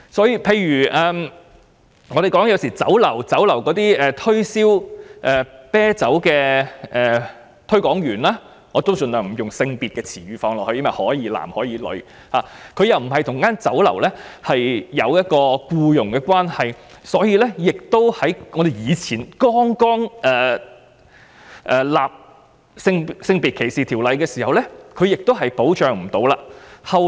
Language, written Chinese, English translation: Cantonese, 又例如在酒樓推銷啤酒的推廣員——我盡量不會使用帶有性別的用詞，因為可以是男或女——由於跟酒樓沒有僱傭關係，所以早期的性別歧視法例並不保障他們。, In another example beer promoters working in restaurants―I try to avoid using gender specific terms as they can be either male or female―did not have any employment relationship with the restaurants thus they were not protected under the sex discrimination law back then